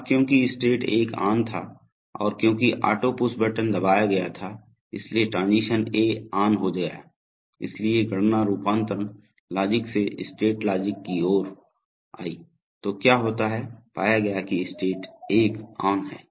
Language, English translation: Hindi, Now because state 1 was on and because auto push button was pressed, transition A became on, so the computation came from the transition logic to the state logic, so what happens is that, it found state 1 is on